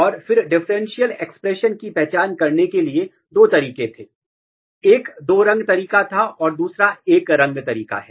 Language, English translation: Hindi, And then there was two way of identify the differential expression, one was the two color way and one color way